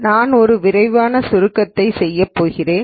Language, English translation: Tamil, I am going to do a quick summary of the course